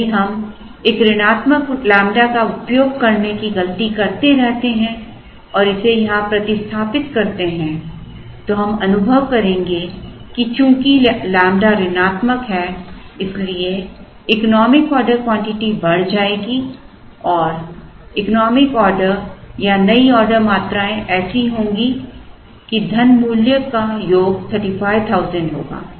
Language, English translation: Hindi, If we continue to make the mistake of using a negative lambda and substituting it here into this then we will realize that since lambda is negative the economic order quantity will go up and the economic order or the new order quantities will be such that, the sum of the money value will be 35,000